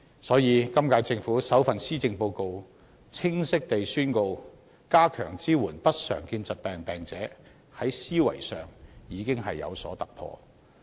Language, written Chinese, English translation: Cantonese, 所以，今屆政府在首份施政報告內，清晰宣告會加強支援不常見疾病病人，在思維上已有所突破。, Therefore it is a breakthrough in the mindset of the current - term Government which has clearly declared in its first Policy Address the strengthening of support to patients with uncommon diseases